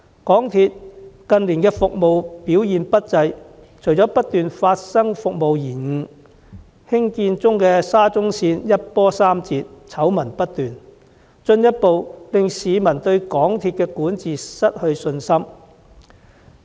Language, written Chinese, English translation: Cantonese, 港鐵公司近年的服務表現不濟，除了不斷發生服務延誤事故，興建中的沙田至中環綫更一波三折，醜聞不絕，進一步削弱市民對港鐵公司管治的信心。, The service performance of MTRCL was dismal in recent years . In addition to the incessant occurrence of service disruptions the Shatin to Central Link under construction has experienced setbacks after setbacks and given rise to endless scandals thus further weakening the public confidence in the governance of MTRCL